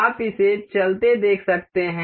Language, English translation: Hindi, You can see this moving